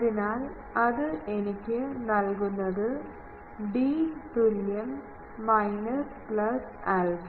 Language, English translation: Malayalam, So, that gives me d is equal to minus plus pi by k not minus alpha